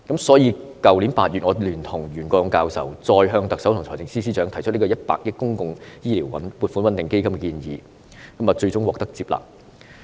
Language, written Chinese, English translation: Cantonese, 所以，去年8月我聯同袁國勇教授，再向特首及財政司司長提出以100億元成立公共醫療撥款穩定基金的建議，最終獲得接納。, Hence in August last year Prof YUEN Kwok - yung and I raised again the proposal of setting up a public healthcare stabilization fund with 10 billion to the Chief Executive and the Financial Secretary and it was finally accepted